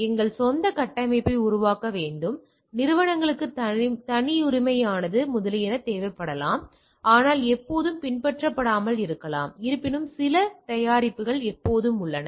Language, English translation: Tamil, Need to evolve our own framework proprietary to the organisations etcetera that maybe a need, but is not may not be always followable nevertheless there are price product always there